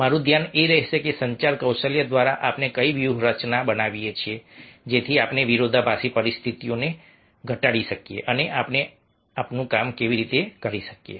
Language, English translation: Gujarati, ah, my focus will be that through communication skills, approach, what strategies we make so that we can minimize the conflicting situations and how we can get our work done